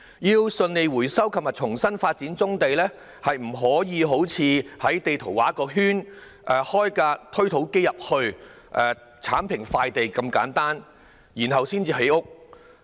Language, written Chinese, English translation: Cantonese, 要順利回收及重新發展棕地，並非好像在地圖上劃一個圈，將推土機駛進地盤，剷平土地，然後便可以建屋這麼簡單。, It is not easy to achieve smooth resumption and redevelopment of brownfield sites . It is not as simply as drawing a circle on the map driving a bulldozer into the site levelling the land and then the construction of housing can start